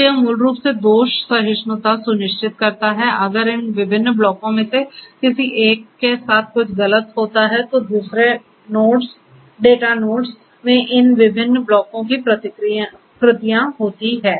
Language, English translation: Hindi, So, this basically ensures fault tolerant; if something goes wrong with one of these different blocks the other blocks the replicas of these different blocks are there in the other data nodes